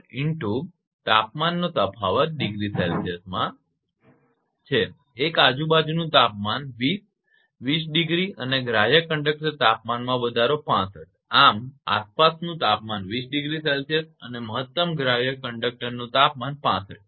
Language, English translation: Gujarati, 004 and temperature difference is your this thing at a ambient temperature 20, 20 degree and permissible conductor temperature rise is 65, this ambient temperature 20 degree Celsius and maximum permissible conductor temperature 65